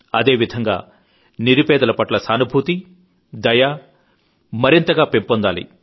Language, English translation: Telugu, In addition, our sympathy for the poor should also be far greater